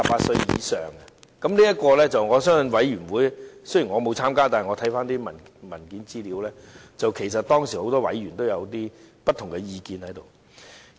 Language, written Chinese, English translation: Cantonese, 雖然我沒有參加相關的法案委員會，但我翻看有關的文件資料發現，當時很多委員也有不同意見。, Although I was not a member of the Bills Committee I note from the relevant papers that members of the Bills Committee have different opinions about this